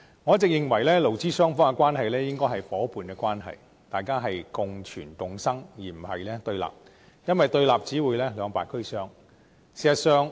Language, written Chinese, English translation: Cantonese, 我一直認為，勞資雙方應該是夥伴關係，互相共存共生，而並非對立，因為對立只會兩敗俱傷。, I always believe that the relationship between employers and employees is one of partnership and coexistence instead of rivalry as the latter will only lead to losses to both sides